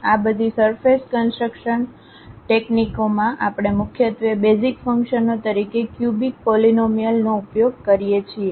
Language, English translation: Gujarati, In all these surface construction techniques, we mainly use cubic polynomials as the basis functions